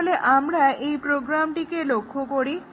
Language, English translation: Bengali, So, let us look at this program